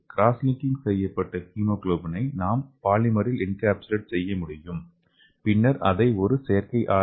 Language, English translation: Tamil, So we can encapsulate this cross linked hemoglobin into the polymer and we can use it like an artificial RBC